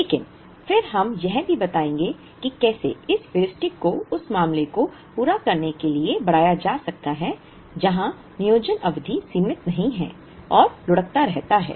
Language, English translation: Hindi, But, then we will also show how this Heuristic can be extended to meet the case where the planning period is not finite and keeps rolling